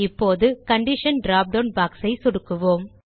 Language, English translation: Tamil, Now, click on the Condition drop down box